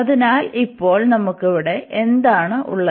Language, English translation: Malayalam, So, now what do we have here